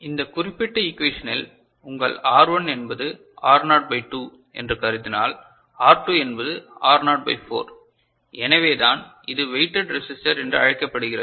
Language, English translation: Tamil, And in this particular equation, if you consider that your R1 is R naught by 2 ok, R 2 is R naught by 4 so, that is why it is called weighted resistor ok